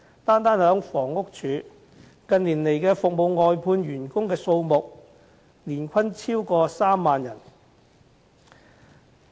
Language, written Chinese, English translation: Cantonese, 單是房屋署，近年服務外判員工的數目年均便超過3萬人。, In the Housing Department alone an average of over 30 000 workers are employed for outsourced services annually in recent years